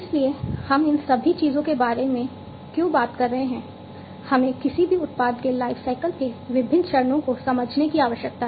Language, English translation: Hindi, So, why we are talking about all of these things, we need to understand the different phase, the different phases of the lifecycle of any product